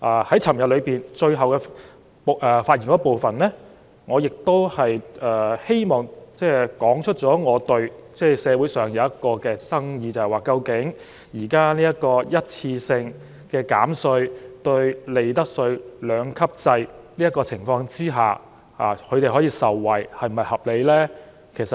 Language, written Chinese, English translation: Cantonese, 在昨天發言的最後一部分中，我亦道出了社會上一個爭議，就是究竟今次這項一次性減稅措施，在利得稅兩級制的情況下，市民是否可以合理受惠呢？, In the last part of my speech yesterday I also mentioned a controversial issue in society and that is can the public reasonably benefit from this one - off tax concessionary measure under a two - tier profits tax regime?